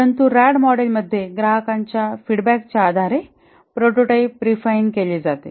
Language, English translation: Marathi, But in the RAD model the prototype is refined based on the customer feedback